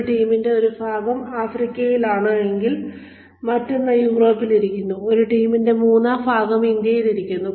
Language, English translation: Malayalam, If, one part of a team is sitting in Africa, the other is sitting in Europe, and the third part of that team is sitting in India